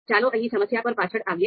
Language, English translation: Gujarati, So let us come back to the problem here